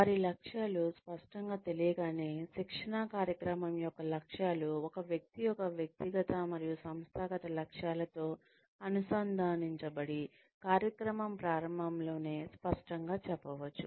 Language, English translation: Telugu, Once their goals are clear, then the objectives of the training program, aligned with a person's personal and organizational goals, can be made clear, right in the beginning of the program